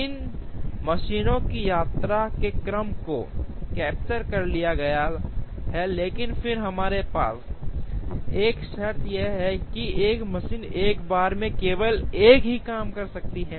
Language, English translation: Hindi, The order of visit of these machines are captured, but then we also have a condition that a machine can process only one job at a time